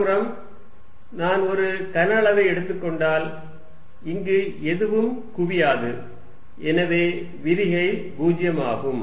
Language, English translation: Tamil, On the other hand, if I take volume here nothing accumulates then divergent is 0